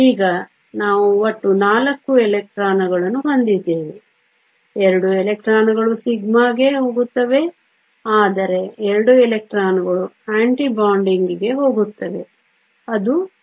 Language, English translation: Kannada, Now, we have a total of 4 electrons 2 electrons will go into sigma, but 2 electrons also go into the anti bonding that is sigma star